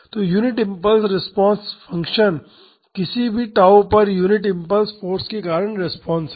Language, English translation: Hindi, So, the unit impulse response function is the response due to unit impulse force at say time equal to tau